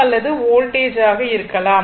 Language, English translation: Tamil, It may be current, it may be voltage, right